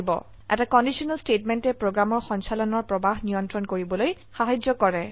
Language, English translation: Assamese, A conditiona statement helps to control the flow of execution of a program